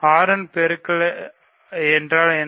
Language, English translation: Tamil, What is a multiple of 6